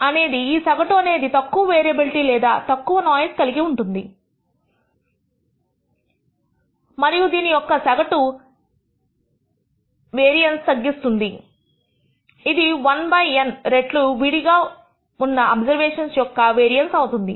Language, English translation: Telugu, The average will contain less variability or less noise and it will reduce the variance of this average will be 1 by N times the variance in your individual observations